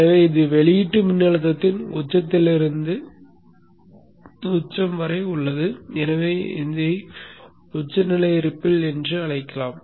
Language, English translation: Tamil, So this is the peak to peak swing of the output voltage and therefore we can call that one as the peak to peak ripple